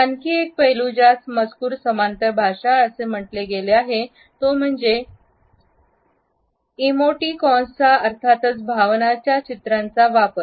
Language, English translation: Marathi, Another aspect, which has been termed as the textual paralanguage is the use of emoticons